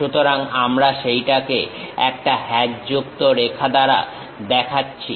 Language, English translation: Bengali, So, we show it by hatched lines